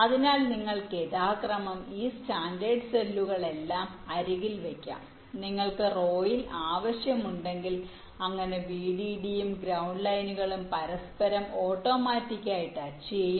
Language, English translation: Malayalam, this is the main advantage, so you can actually put all these standard cells side by side if you require, in rows, so then vdd and ground lines will automatically touch each other so they will get the power connections from their right